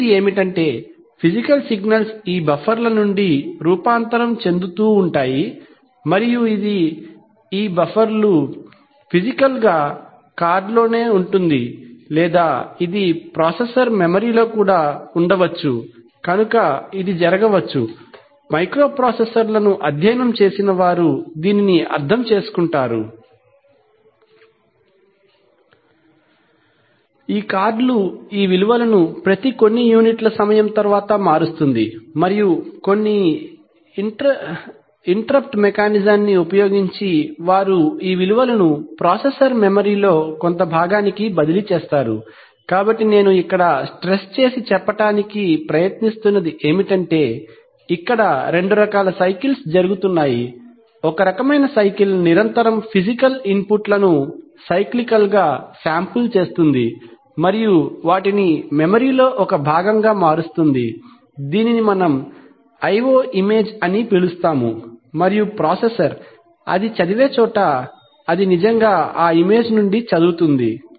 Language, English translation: Telugu, The first one is that, the physical signals keep getting transformed from either to these buffers and this, these buffers could be physically situated either on the card or it could even be situated in the processor memory, so it may so happen, those who have studied microprocessors will understand this, that it may so happen that these cards, every few units of time convert these values and then using some interrupt mechanism they will transfer these values to some part of the processor memory, so what I am trying to stress is that, here there are two kinds of cycles going on, one kind of cycle continuously cyclically samples the physical inputs and transforms them to a part of the memory, which we call the i/o image and the processor where it reads, it actually reads from that image, right